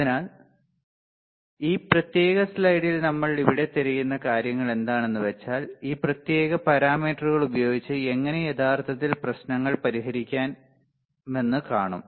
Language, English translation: Malayalam, So, the things that we are looking here in this particular slide we will also see some of those how we can actually solve the problems using this particular of for this particular parameters ok